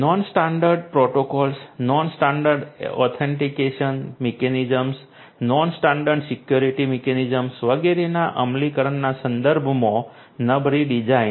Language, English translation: Gujarati, Poor designing with respect to you know implementation of non standard protocols, non standard authentication mechanisms, non standard security mechanisms etcetera